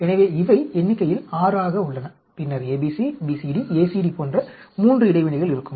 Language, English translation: Tamil, So, there are 6 in number, and then there will be a 3 way interaction ABC, BCD, ACD, like that